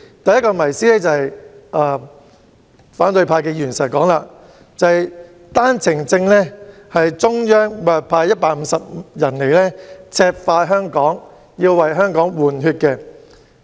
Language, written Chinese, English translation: Cantonese, 第一個謎思，是反對派議員經常說的，推行單程證措施是因為中央每天要派150人來赤化香港，為香港"換血"。, The first often quoted by the opposition Members is that the OWP measure is introduced to allow the Central Authorities to send 150 people to Hong Kong daily as a population replacement exercise aiming to turn Hong Kong red